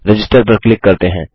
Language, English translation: Hindi, Lets click in register